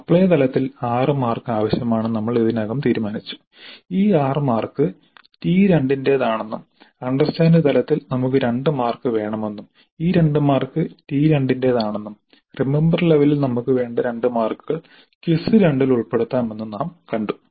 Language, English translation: Malayalam, We already have decided that at apply level we need 6 marks and the decision is that these 6 marks would belong to T2 and at understandable we wanted 2 marks and these 2 marks also will be in T2 and at remember level we 2 we need 2 marks and these will be covered in FIS 2